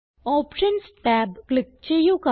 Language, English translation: Malayalam, Click on the Options tab